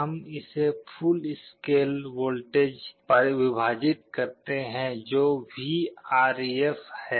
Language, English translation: Hindi, We divide this Δ by full scale voltage which is Vref